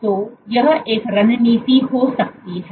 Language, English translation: Hindi, So, this might be one strategy